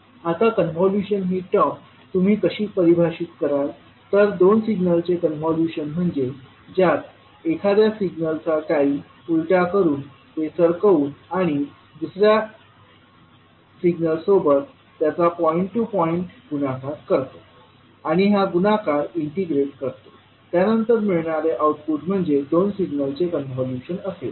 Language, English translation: Marathi, Now the term convolution, how you will define, the two signals which consists of time reversing of one of the signals, shifting it and multiplying it point by point with the second signal then and integrating the product then the output would be the convolution of two signals